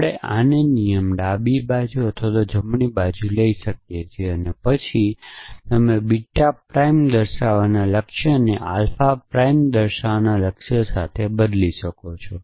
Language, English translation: Gujarati, So, we call this a rule left hand side, right hand side, then you can replace the goal of showing beta prime with the goal of showing alpha prime essentially